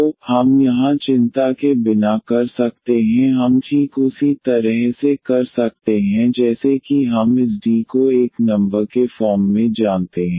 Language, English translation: Hindi, So, we can without worries here we can do exactly we do the product with treating this D as a number; real number